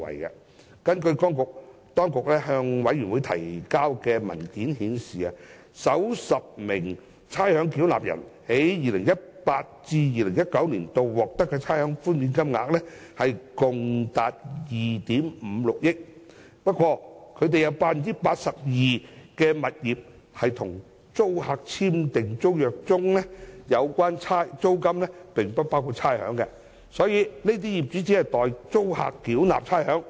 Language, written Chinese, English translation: Cantonese, 當局向小組委員會提交的文件顯示，首10名差餉繳納人在 2018-2019 年度獲得的差餉寬免金額共達2億 5,600 萬元。不過，當中有 82% 的物業在與租客簽訂的租約中，訂明有關租金並不包括差餉，業主只是代租客繳交差餉。, As shown in the paper submitted by the Government to the Subcommittee for the top 10 ratepayers who are expected to receive the largest amounts of rates concession in 2018 - 2019 the total rates concession amounts to 256 million but over 82 % of the tenancies are of rates exclusive basis and the owners are only paying rates on behalf of the tenants